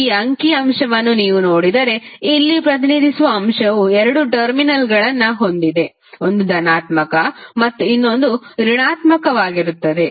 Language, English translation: Kannada, So, that is simply if you see this figure the element is represented here and now you have two terminals; one is positive another is negative